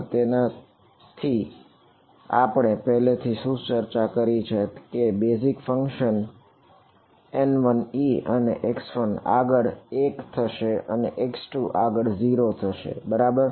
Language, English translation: Gujarati, So, with this together what do we have already discussed the basis functions N 1 e is N 1 e is going to be 1 at x 1 and 0 at x 2 right